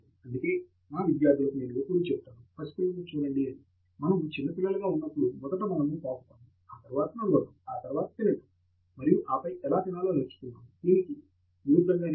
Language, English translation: Telugu, That is why I tell my students that, look at the baby, when all of us were babies, we really did not say that I learnt how to crawl and walk first, and then only learnt how to eat or vice versa